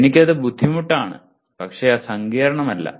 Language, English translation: Malayalam, I may or I would consider it is difficult but not complex